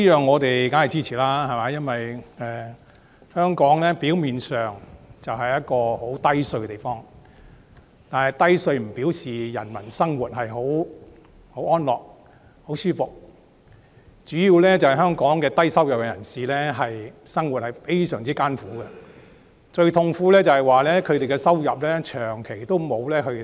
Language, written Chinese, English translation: Cantonese, 我們對此當然是支持的，香港表面上是一個低稅制的地方，但這不表示人民生活安樂舒服，主要因為香港低收入人士的生活非常艱苦，最痛苦的是他們的收入長期沒有增加。, We certainly support these reductions . Hong Kong has a low tax regime on the surface but this does not mean that the people are leading a life of comfort . It is mainly because the low - income earners in Hong Kong face great difficulties in their living and to them it is most agonizing that there has been no increase in their income over a long period of time